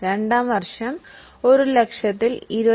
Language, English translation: Malayalam, In year 2, we will not apply 25,000 on 1 lakh